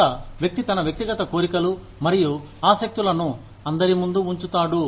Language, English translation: Telugu, Where, a person puts his or her individual desires and interests, before everyone else's